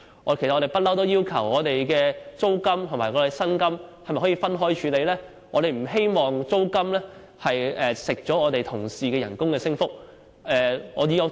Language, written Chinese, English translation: Cantonese, 其實，我們一向要求把租金和薪金分開處理？我們不希望租金蠶食了同事的薪酬升幅。, Actually we have been asking for separate treatment for rents and salaries for we do not want the rents to eat into our colleagues salaries